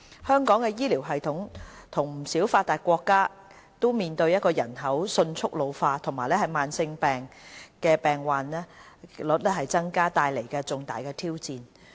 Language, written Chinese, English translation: Cantonese, 香港的醫療系統與不少發達國家均面對人口迅速老齡化，以及慢性疾病的患病率增加所帶來的重大挑戰。, Hong Kongs health care system similar to those in many other developed countries is facing major challenges brought about by a rapidly ageing population and the associated increasing prevalence of chronic diseases